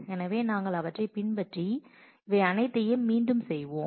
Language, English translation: Tamil, So, we will follow through them and redo all of them